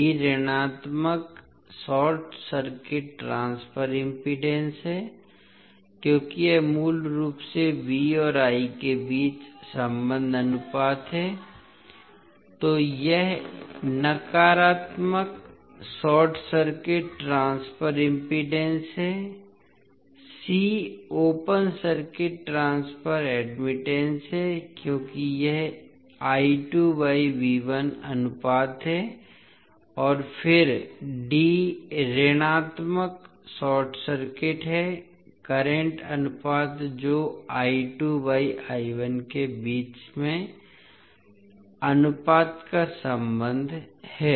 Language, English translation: Hindi, b is negative short circuit transfer impedance, because it is basically the relationship ratio between V and I, so it is negative short circuit transfer impedance, c is open circuit transfer admittance because it is V by I ratio sorry I by V ratio and then d is negative short circuit current ratio that is relationship between the ratio between I 2 and I 1